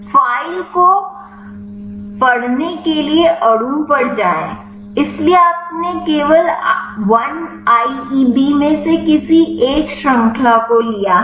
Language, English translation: Hindi, Go to file read molecule so, you have only taken any one of the chain from the 1IEB